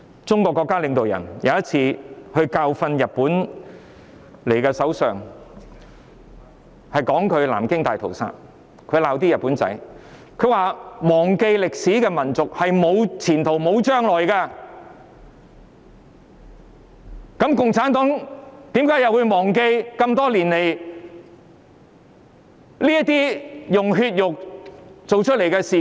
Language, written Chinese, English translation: Cantonese, 中國國家領導人有一次教訓日本首相，他們提到南京大屠殺並責罵日本人，表示"忘記歷史的民族是沒有前途、沒有將來"，那麼共產黨又怎可以忘記多年來用血肉築成的事件？, The leaders of China once lectured the Prime Minister of Japan . They mentioned the Nanjing Massacre and rebuked the Japanese that a nation forgetting the history will be a nation of no prospect and no future . By the same token CPC should not forget incidents of flesh and blood occurred over the years should it?